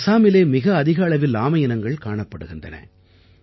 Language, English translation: Tamil, Assam is home to the highest number of species of turtles